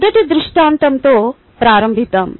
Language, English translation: Telugu, let us begin with the first scenario